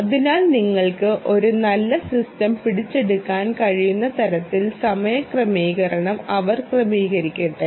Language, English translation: Malayalam, ok, so let her adjust the time base such that you will be able to capture a nice ah system